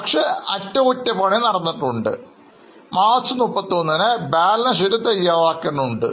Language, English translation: Malayalam, So, we don't know the charges but we know that repairs has been done and we are required to prepare a balance sheet on say 31st of March